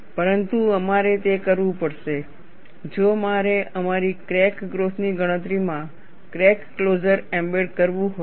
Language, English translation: Gujarati, But we have to do that, if I have to embed crack closure, in our crack growth calculation